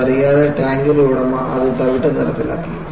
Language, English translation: Malayalam, Without knowing that, the owner of the tank painted it brown